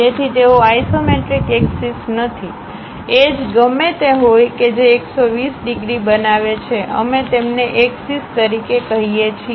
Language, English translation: Gujarati, So, they are not isometric axis; whatever the edges that make 120 degrees, we call them as axis